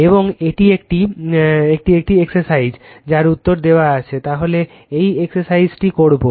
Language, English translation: Bengali, And this is one exercise for you you will do it answers are given this exercise you will do it for you right